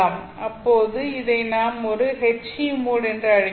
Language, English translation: Tamil, In that case we call this as a H E mode